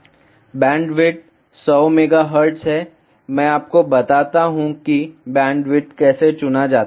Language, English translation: Hindi, The bandwidth is 100 megahertz; I will tell you how ah the bandwidth is chosen